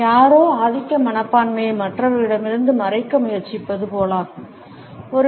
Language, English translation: Tamil, It is as if somebody is trying to hide the dominant attitude from others